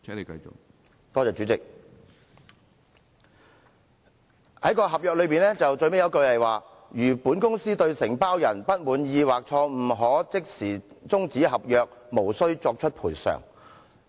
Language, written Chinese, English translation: Cantonese, 主席，合約最後一句寫道："如本公司對承包人不滿意，可即時終止合約，無須作出賠償。, Chairman the last sentence of the contract reads The Company shall terminate the contract immediately in case of dissatisfaction with the Contractor . No compensation shall be paid